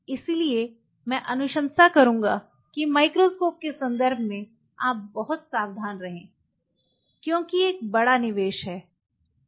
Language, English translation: Hindi, So, I will recommend in terms of the microscope you be very careful because this is a big investment